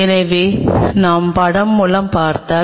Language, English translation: Tamil, So, if we just look through the picture